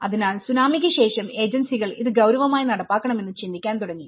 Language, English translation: Malayalam, So, but after the Tsunami agencies have thought that we should seriously implement this